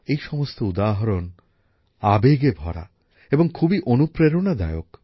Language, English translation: Bengali, All these examples, apart from evoking emotions, are also very inspiring